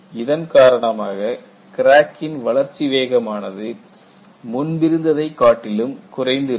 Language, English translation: Tamil, So, the rate of crack growth will not be as high as it was before